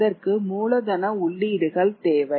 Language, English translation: Tamil, It required investment of capital